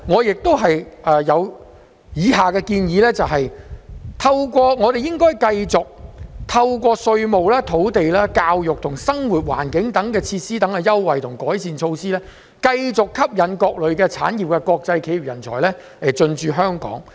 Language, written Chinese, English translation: Cantonese, 此外，建議我們應該繼續透過稅務、土地、教育及生活環境等設施的優惠及改善措施，繼續吸引各類產業的國際企業人才進駐香港。, Moreover I suggest that we should continue to attract international business talents from various industries to come and stay in Hong Kong through the introduction of various concessions as well as improved measures in tax land education and living environment